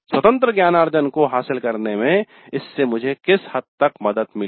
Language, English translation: Hindi, So to what extent it helped me in pursuing independent learning